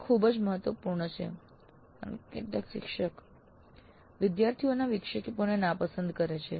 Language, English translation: Gujarati, This again very important because some of the instructors do dislike interruptions from the students